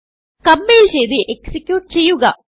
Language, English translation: Malayalam, Let us compile and execute